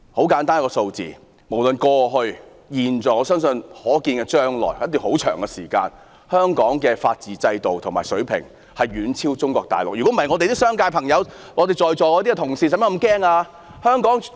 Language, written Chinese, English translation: Cantonese, 很簡單，無論過去、現在或我相信可見將來的一段很長時間內，香港法治制度的水平仍會遠超中國內地，否則本港的商界朋友、在席的同事何須如此害怕？, The answer is very simple . I believe that in the past at present and in a very distant future the level of rule of law in Hong Kong has always been and will still be more advanced than that of Mainland China . Otherwise why are people from the business sector in Hong Kong including our colleagues present here so frightened?